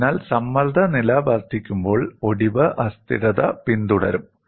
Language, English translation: Malayalam, So, when the stress level is increased, fracture instability will follow